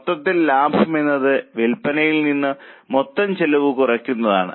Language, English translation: Malayalam, Overall you know that profit is sales minus total cost